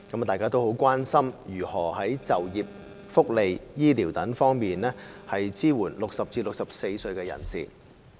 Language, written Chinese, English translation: Cantonese, 大家都很關心如何在就業、福利、醫療等方面支援60歲至64歲人士。, All of them are very concerned about how to support persons aged between 60 and 64 in terms of employment welfare health care etc